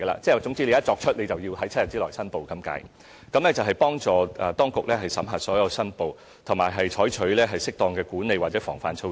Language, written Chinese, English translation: Cantonese, 總言之，公務員一旦作出相關投資，便要在7天內申報，以幫助當局審核所有申報，以及採取適當的管理或防範措施。, In a nutshell civil servants have to declare within seven days once they make such investments so as to facilitate the authorities examination of all declarations and adoption of appropriate management or preventive measures